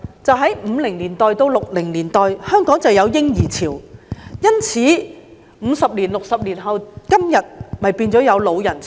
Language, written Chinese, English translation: Cantonese, 在1950年代至1960年代，香港有"嬰兒潮"，因此，五六十年後的今天變相有"老人潮"。, From the 1950s to the 1960s Hong Kong had a baby boom so today almost six decades afterwards there is a de facto elderly boom